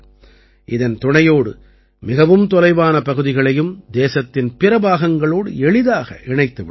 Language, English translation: Tamil, With the help of this, even the remotest areas will be more easily connected with the rest of the country